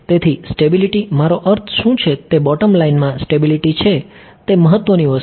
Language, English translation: Gujarati, So, stability what I mean the bottom line is stability is the important thing ok